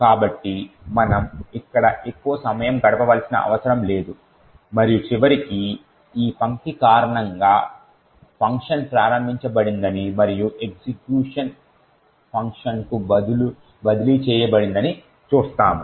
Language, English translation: Telugu, So, we don’t have to spend too much time over here and eventually we would see that the function gets invoked due to this line and the execution has been transferred to the function